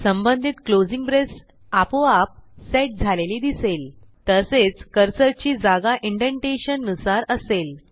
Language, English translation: Marathi, We can see that it automatically sets the corresponding closing braces and also positions the cursor with indentation